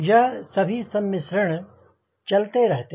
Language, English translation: Hindi, so all this combination goes on